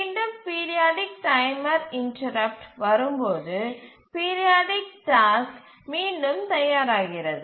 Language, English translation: Tamil, And again, as the periodic timer interrupt comes, the periodic task again becomes it arrives or becomes ready